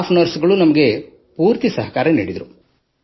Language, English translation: Kannada, The staff nurses took full care of us